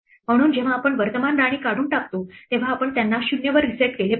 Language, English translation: Marathi, So, when we remove the current queen we must reset them back to 0